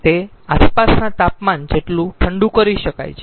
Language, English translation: Gujarati, theoretically it can be cooled to the ambient temperature